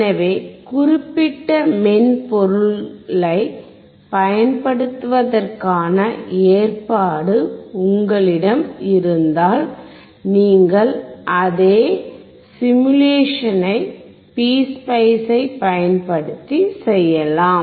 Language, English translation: Tamil, So, you can perform the same simulation using PSpice, if you have the provision of using that particular software